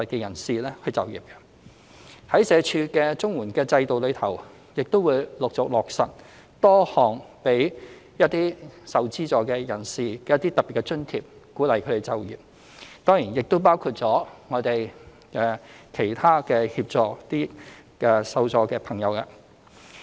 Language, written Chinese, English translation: Cantonese, 社署的綜合社會保障援助制度亦會陸續落實多項給予受助人士的特別津貼，鼓勵他們就業；當然還包括其他協助這些受助朋友的措施。, SWD will also introduce progressively a number of special allowances for recipients under the Comprehensive Social Security Assistance CSSA Scheme with a view to encouraging them to seek employment . There are of course other measures in place to help these recipients